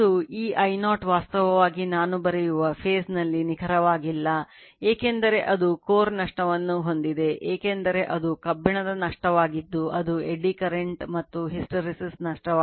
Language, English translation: Kannada, That you are this I0 actually not exactly in phase in phase with I write because it has some core loss that is iron loss that is eddy current and hysteresis loss